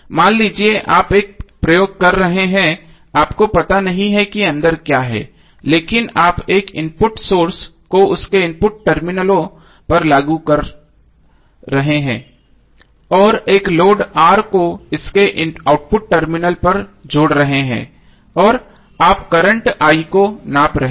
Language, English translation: Hindi, So suppose you are doing on a experiment way you do not know what is inside but you are applying one voltage source across its input terminals and connecting a load R across its output terminal and you are measuring current I